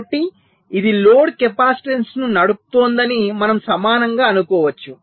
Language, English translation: Telugu, so we can equivalently assume that it is driving a load capacitance